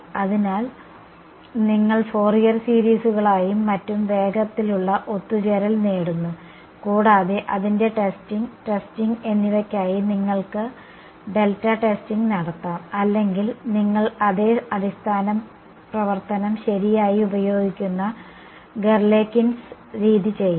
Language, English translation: Malayalam, So, you make get faster convergence with Fourier series and so on, and for testing, testing its you could do delta testing or you could do Galerkins method where you use the same basis function right